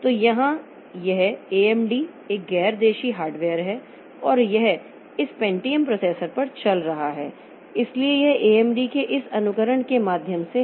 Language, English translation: Hindi, So, here this AMD is a non native hardware and it is running on the pay on this Pentium processor